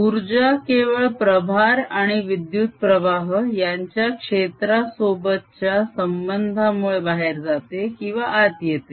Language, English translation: Marathi, the only way the energy can go in and come out is through interaction of fields with charges and currents